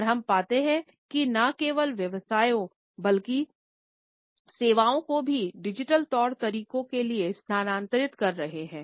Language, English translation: Hindi, And we find that not only the professions, but services also are shifting to digital modalities